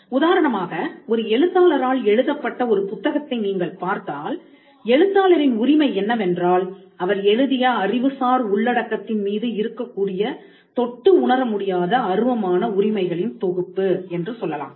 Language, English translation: Tamil, For instance, if you look at a book that has been authored by a writer a person, then the right of the author is what we call a set of intangible rights which exist in the matter that he created which is the intellectual content